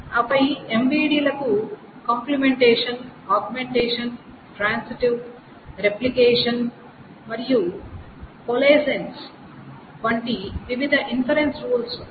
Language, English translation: Telugu, And then there are different inference rules for MVDs such as complementation, augmentation, transitive replication and coalescence